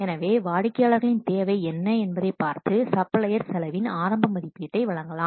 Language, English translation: Tamil, So, looking at the what customer's requirement, the supplier may provide an initial estimate of the cost